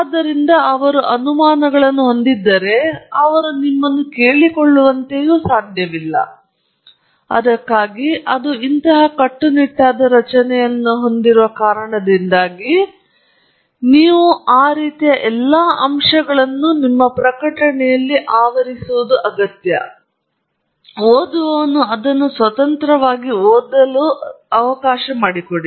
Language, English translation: Kannada, So, if they have doubts they cannot just like that ask you, and that’s part of the reason why it has such a rigid structure to it, and so that you sort of cover all the aspects so that person reading it can independently read it